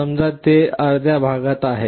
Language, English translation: Marathi, Suppose it is in the right half